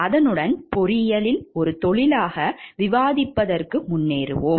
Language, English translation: Tamil, With this we will move forward to the discussion of engineering as a profession